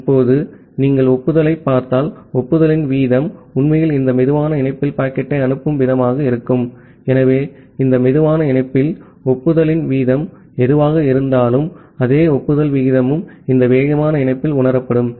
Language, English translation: Tamil, Now, when if you look into the acknowledgement the rate of the acknowledgement will actually be the rate of sending the packet at this slower link; so whatever be the rate of acknowledgement at this slower link, the same rate of acknowledgement will perceive in this fast link as well